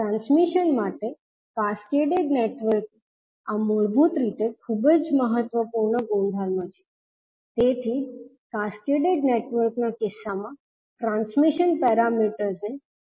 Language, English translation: Gujarati, This is basically very important property for the transmission the cascaded network that is why makes the transition parameters very useful in case of cascaded network